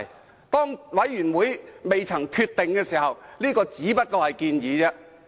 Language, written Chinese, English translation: Cantonese, 在專責委員會作出決定前，這只是一項建議。, That is just a proposal and the Select Committee has not made a decision